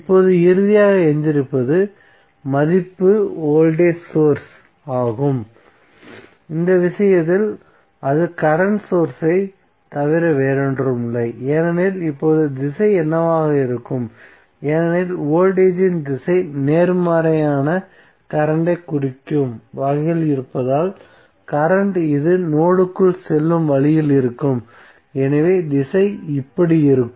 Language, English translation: Tamil, Now finally what is left, the left value is the voltage source, so in this case it will be nothing but the current source now what would be the direction because direction of voltage is in such a way that it is giving positive current so the current will also be in such a way that it is going inside the node, so the direction would be like this